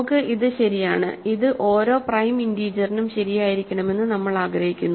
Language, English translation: Malayalam, So, we want this true, we want this be true to every prime integer p